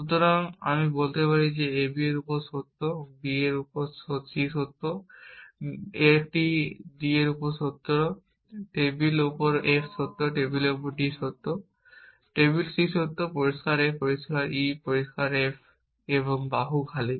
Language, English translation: Bengali, So, I can say on ab is true, on b c is true, on a d is true, on table f is true, on table d is true, on table c is true, clear a, clear e, clear f and arm empty